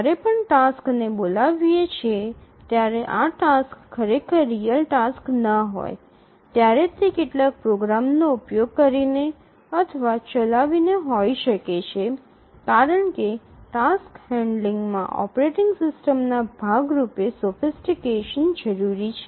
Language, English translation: Gujarati, The tasks may not be real tasks actually even though we are calling tasks it may be just invoking running certain programs because handling tasks require sophistication on the part of operating system